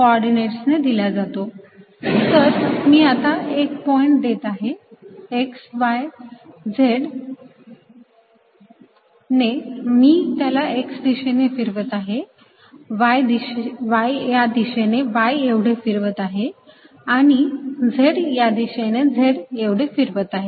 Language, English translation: Marathi, so if i am giving a point x, y and z, i am moving in direction by x, y, direction by y and then z direction by z